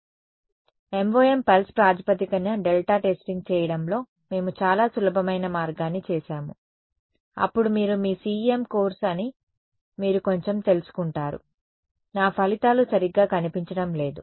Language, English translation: Telugu, So, this is what we did the simplest way of doing MoM pulse basis delta testing, then you get a little you know you are your CEM course, you feel a little of ended they are what is this my results are not looking good